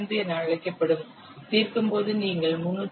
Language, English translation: Tamil, 05 on solving you will get 302